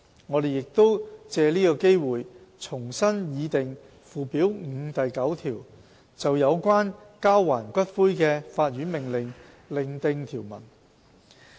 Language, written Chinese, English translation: Cantonese, 我們亦藉此機會重新擬訂附表5第9條，就有關交還骨灰的法院命令另訂條文。, We will also take this opportunity to restructure section 9 of Schedule 5 to set out the provisions regarding a court order for the return of ashes separately